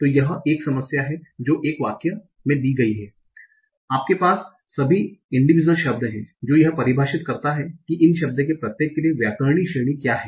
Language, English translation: Hindi, So this is a problem that given a sentence, you have all the individual words, can identify what is the grammatical category for each of this word